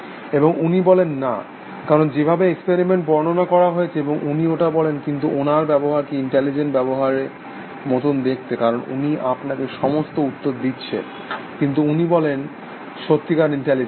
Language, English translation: Bengali, And he says no, because the way that experiment has been described, and he says that therefore, but his behavior looks like intelligent behavior, because he is giving you all the answers, but he said really intelligence, he says no essentially